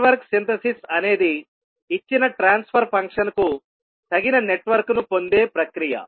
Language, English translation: Telugu, Network Synthesis is the process of obtaining an appropriate network for a given transfer function